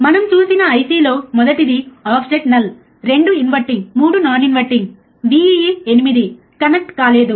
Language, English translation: Telugu, We have seen the IC from one which is offset null, right 2 inverting 3 non inverting Vee, right 8 is not connected